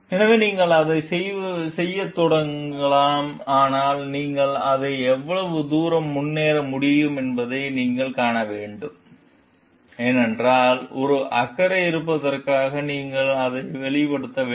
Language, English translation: Tamil, So, you can start doing it, but you have to see how far you can move forward with it, because you yourself for having a concern and you need to express it